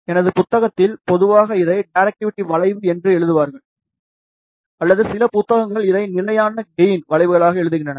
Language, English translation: Tamil, So, in the book, generally that write this as directivity curve or some books write this as constant gain curves